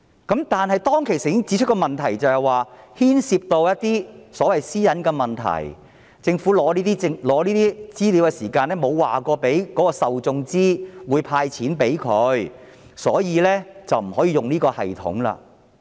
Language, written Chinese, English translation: Cantonese, 然而，政府當時指出，這會牽涉私隱的問題，即政府取得這些資料時並沒有告知受眾政府將會向他們"派錢"，所以不可以採用這系統。, However the Government pointed out at that time that this practice would involve privacy issues that is when the Government obtained such information it did not inform the information providers that the Government would use the information to disburse money to them . Thus the Government could not use that system